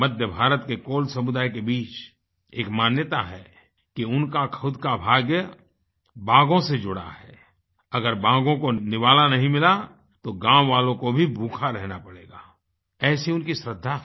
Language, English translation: Hindi, There is a belief among the Kol community in Central India that their fortune is directly connected with the tigers and they firmly believe that if the tigers do not get food, the villagers will have to facehunger